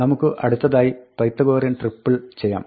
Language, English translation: Malayalam, Now, let us do the Pythagorean triple one